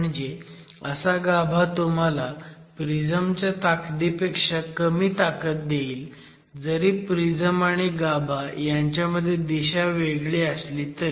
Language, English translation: Marathi, That the core is always going to give you a strength marginally lower than what the prism will give you despite the direction being different in the prism versus the core